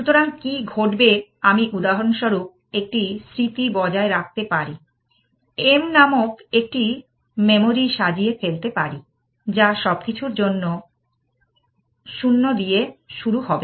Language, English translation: Bengali, So, what will happen, I can maintain for example, a memory and array called M, which will start with 0 for everything that is one way of doing it